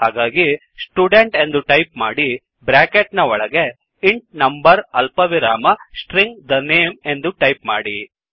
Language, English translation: Kannada, So type, Student within parentheses int number comma String the name